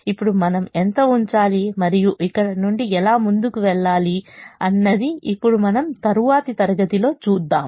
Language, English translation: Telugu, now, how much we put and how we proceed from here, we will now see in the next class